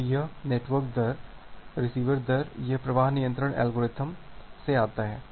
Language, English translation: Hindi, So, this network rate, receiver rate it comes from the flow control algorithm